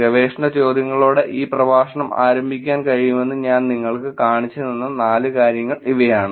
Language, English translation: Malayalam, These are the four things that I showed you guys research questions can be started this lecture